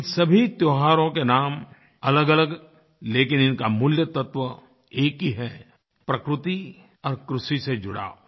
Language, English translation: Hindi, These festivals may have different names, but their origins stems from attachment to nature and agriculture